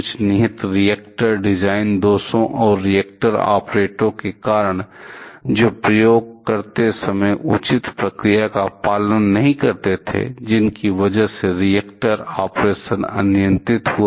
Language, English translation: Hindi, Because of some inherent reactor design flaws and the reactor operators, who did not follow the proper procedure while doing the experiment that lead to uncontrolled reactor operation